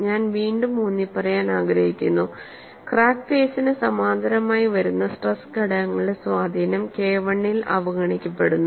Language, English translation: Malayalam, And I would like to emphasize again, the influence of stress components parallel to the crack phase on K1 is ignored